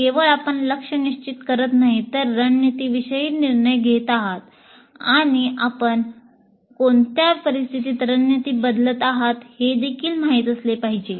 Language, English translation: Marathi, So not only you are setting goals, but you are making decisions about strategies and also under what conditions you will be changing the strategy